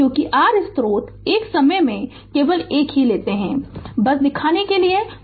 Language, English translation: Hindi, Because you have 3 sources take only one at a time, just to show you right